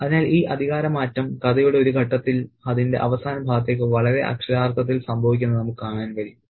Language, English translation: Malayalam, Okay, so we can see this power shift happening in a very, very literal manner at one point in the story towards its finale